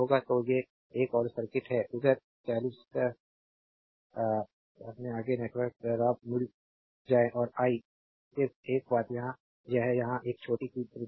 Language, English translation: Hindi, So, these another circuit that further network in figure 50 find Rab and I just one thing here one here one small error is there